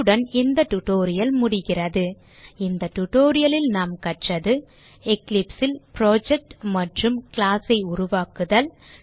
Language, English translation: Tamil, this brings us to the end of this tutorial In this tutorial, we have learnt how to create project in eclipse and a class to it